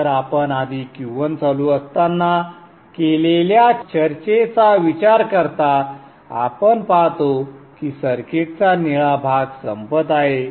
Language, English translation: Marathi, So considering the discussion that we had earlier when Q1 is on we see that the blue portion of the circuit is active